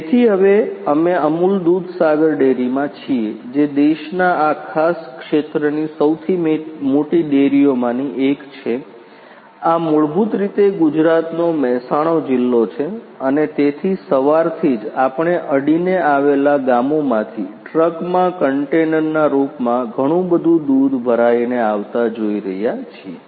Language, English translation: Gujarati, So, right now we are in the Amul Dudhsagar dairy, which is one of the largest dairies in this particular region of the country, this is basically Mehsana district in Gujarat and so, right from the morning we are witnessing lot of milk coming from the adjacent villages in the form of containers which are loaded in trucks